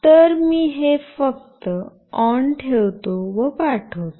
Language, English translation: Marathi, So, I will just ON it and I will just send